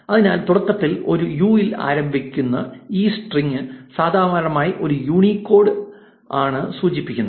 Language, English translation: Malayalam, So, any string which starts with a u in the beginning is usually a Unicode string